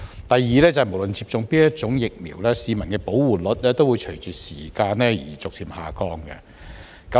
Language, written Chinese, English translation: Cantonese, 第二，無論接種哪一種疫苗，市民的保護率也會隨着時間而逐漸下降。, Second regardless of the types of vaccines the protection rate of the public will gradually decline over time